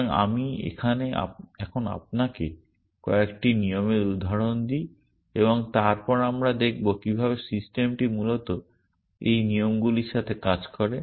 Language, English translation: Bengali, So, let me now give you a examples of a few rules and then we will see how the system operates with these rules essentially